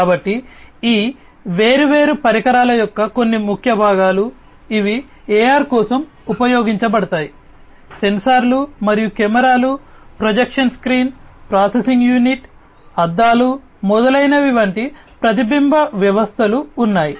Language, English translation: Telugu, So, these are some of the key components of these different devices, that are used for AR, there are sensors and cameras, projection screen, processing unit, reflection systems like mirrors etcetera